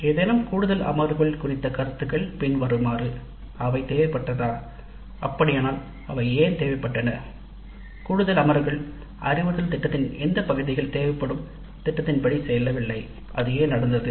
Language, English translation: Tamil, Then comments on any additional sessions were they required and if so why they were required which parts of the instruction planning did not go as per the plan requiring additional sessions and why that happened